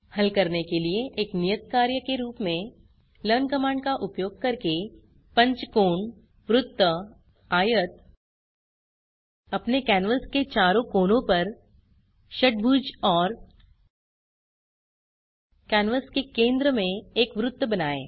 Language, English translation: Hindi, As an assignment for you to solve, Using learn command, draw a pentagon square rectangle hexagon on all four corners of your canvas and A circle at the centre of the canvas